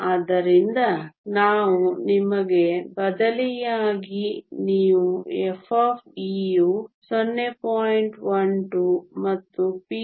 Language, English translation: Kannada, So, again we can substitute you get f of e is 0